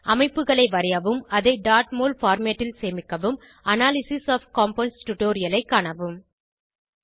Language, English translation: Tamil, To draw structures and save in .mol format, refer to Analysis of Compounds tutorial